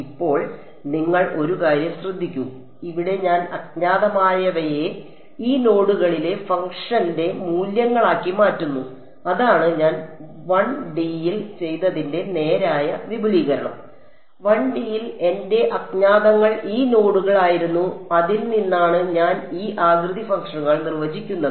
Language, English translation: Malayalam, Now, you one thing you notice that here I am making the unknowns to be the values of the function at these nodes, that is the straightforward extension what I did in 1 D, in 1 D my unknowns were these nodes from that I define these shape functions right everything is good